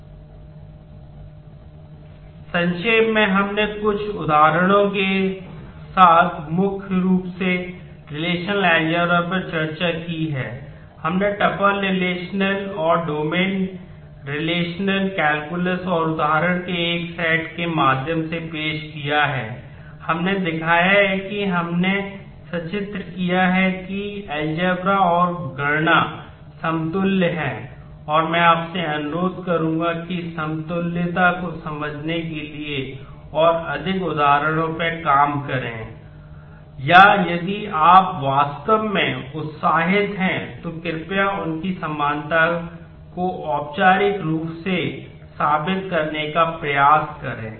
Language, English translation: Hindi, We have shown that we have illustrated that the algebra and the calculi are equivalent and I would request you to work out more examples to understand the equivalence, or if you are really enthused please try out proving their equivalence formally as well